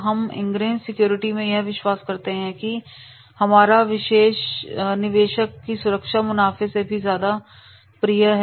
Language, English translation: Hindi, We, at Indgress securities, believe that investor security comes before our profits